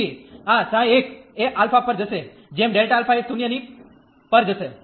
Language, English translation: Gujarati, So, this psi 1 will approach to alpha as delta alpha goes to 0